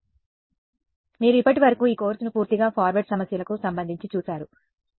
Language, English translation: Telugu, So, you have looked at this course so far has been entirely about forward problems